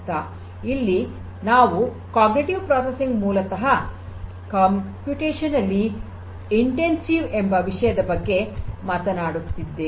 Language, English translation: Kannada, And if we are talking about cognitive processing that basically is computationally intensive